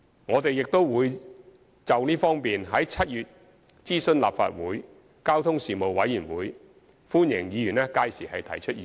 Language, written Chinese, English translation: Cantonese, 我們亦會就這方面在7月諮詢立法會交通事務委員會，歡迎議員屆時提出意見。, We will also consult the Legislative Council Panel on Transport on this issue in July and Members are welcome to express their views on that occasion